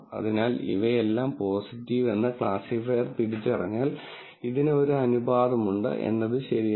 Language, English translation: Malayalam, So, if all of these are identified as positive by the classifier, there is a proportion of this, which is correct